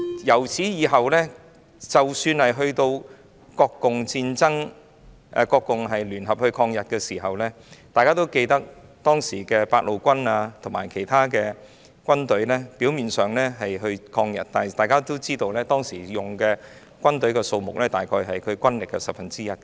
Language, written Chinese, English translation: Cantonese, 自此以後，即使是在國共聯合抗日時，當時的八路軍及其他軍隊表面上是一同抗日，但大家也知道，當時的軍隊數目只是軍力約十分之一。, When the nationalists and the communists had formed a united front to resist Japans invasion the Eighth Route Army and the other armies were ostensibly fighting against Japan the troops deployed only accounted for one tenth of the force